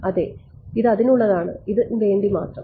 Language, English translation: Malayalam, Yeah this is for that for its for this only